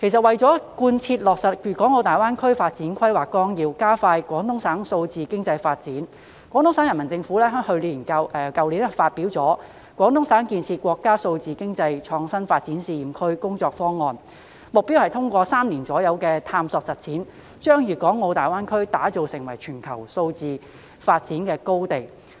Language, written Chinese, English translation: Cantonese, 為了貫徹落實《粤港澳大灣區發展規劃綱要》及加快廣東省數字經濟發展，廣東省人民政府去年發表了《廣東省建設國家數字經濟創新發展試驗區工作方案》，目標是通過3年左右的探索實踐，把粤港澳大灣區打造成為全球數字經濟發展高地。, In order to fully implement the Outline Development Plan for the Guangdong - Hong Kong - Macao Greater Bay Area and expedite the development of digital economy in Guangdong Province the Peoples Government of Guangdong Province issued the Guangdong Province Work Plan for Building a National Digital Economy Innovation and Development Pilot Zone last year which aims to develop GBA into a global hub for digital economy development through exploration and practice in about three years time